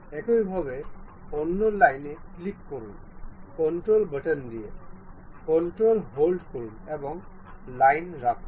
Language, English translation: Bengali, Similarly, click the other line by keeping control button, control hold and line